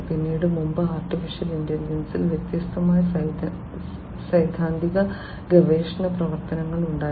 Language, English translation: Malayalam, Then in, you know, earlier there used to be different theoretical research works on AI